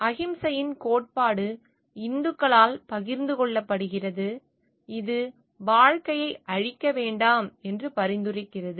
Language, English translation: Tamil, The doctrine of ahimsa is also shared by Hindus which advocates not destroying life